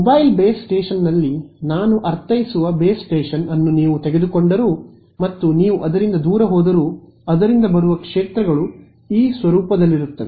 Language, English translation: Kannada, Even if you take the base station I mean in the mobile base station and you go far away from you will find the fields coming from it are of this form